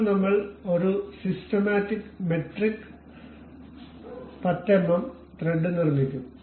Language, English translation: Malayalam, Now, we will construct a systematic metric 10 mm thread